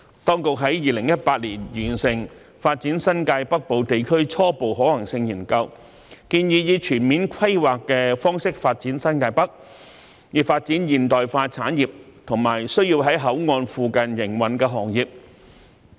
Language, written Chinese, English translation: Cantonese, 當局在2018年完成《發展新界北部地區初步可行性研究》，建議以全面規劃的方式發展新界北，以發展現代化產業及需要在口岸附近營運的行業。, The authorities completed the Preliminary Feasibility Study on Developing the New Territories North in 2018 and recommended to develop New Territories North with comprehensive planning so as to develop modern industries and industries that need to operate near the ports